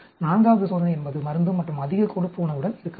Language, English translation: Tamil, Fourth experiment could be with drug and high fat diet